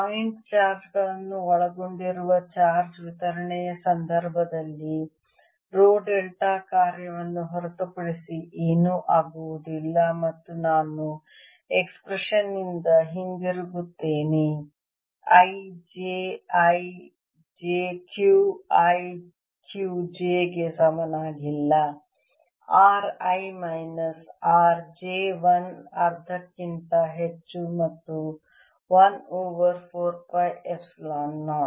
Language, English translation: Kannada, in the case of charge (refer time 15:00), distribution consisting of point charges row goes to nothing but delta function and I will get back by expression i j, i not equal to q i, q j over r minus r, i minus r j, some over one half and 1 over four pi epsilon zero